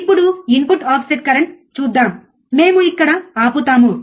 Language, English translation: Telugu, Now let us see input offset current so, we stop here